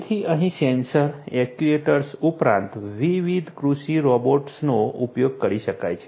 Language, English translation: Gujarati, So, sensors, actuators, last different agricultural robots could be used over here